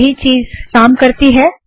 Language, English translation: Hindi, Okay, Same thing works